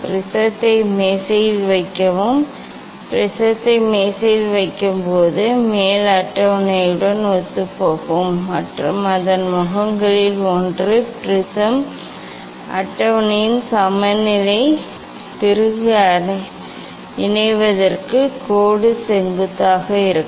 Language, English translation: Tamil, Place the prism on the table; place the prism on the table with it is vertex coinciding with that of the top table and with one of its faces perpendicular to the line joining of the leveling screw of the prism table